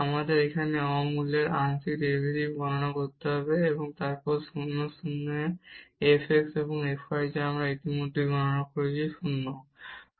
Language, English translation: Bengali, We have to compute the partial derivatives at non origin here and then the f x and f y at 0 0 which we have already computed the value was 0